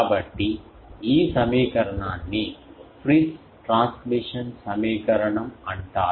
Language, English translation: Telugu, So, this equation is called Friis transmission equation